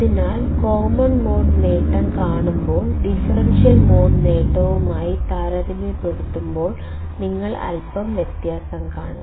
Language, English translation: Malayalam, So, when we see common mode gain; you will see a little bit of difference when compared to the differential mode gain